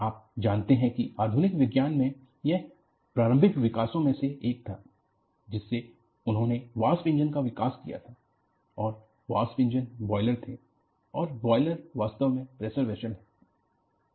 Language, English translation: Hindi, You know one of the earliest development in modern Science was, they had developed locomotives and locomotives had boilers and boilers are essentially pressure vessels